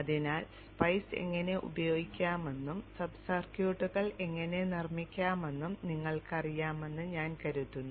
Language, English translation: Malayalam, I think you know how to use spice, how to make sub circuit